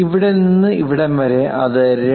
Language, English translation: Malayalam, From here to here that is 2